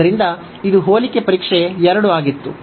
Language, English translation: Kannada, So, this was the comparison test 2